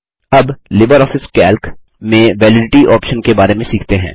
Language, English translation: Hindi, Now, lets learn about the Validity option in LibreOffice Calc